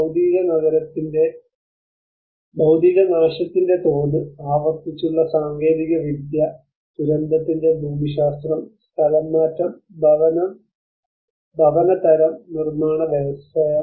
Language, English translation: Malayalam, The materiality; the scale of destruction, the recurrent technology, the geography of the disaster, the displacement, the type of housing and the construction industry